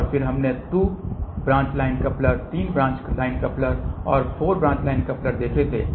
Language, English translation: Hindi, And then we had seen 2 branch line coupler, 3 branch line couplers and 4 branch line coupler